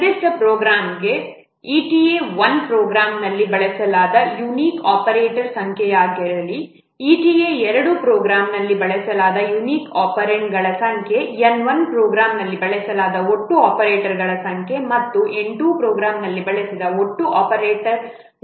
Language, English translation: Kannada, For a given program, let ita 1 be the number of unique operators which are used in the program, eta 2 with the number of unique operands which are used in the program, N1 be the total number of operators used in the program, and n2 be the total number of operants used in the program